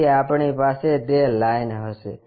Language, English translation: Gujarati, So, we will have these lines